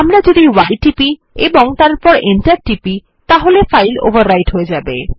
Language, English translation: Bengali, If we press y and then press enter, the file would be actually overwritten